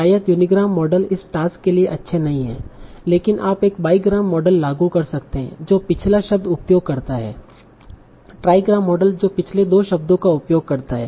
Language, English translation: Hindi, So probably unigram models are not good for this task, but you can apply biogram models, the model which uses the previous word, trigram models that uses the previous two words and so on